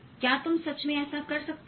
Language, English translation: Hindi, Can you really do this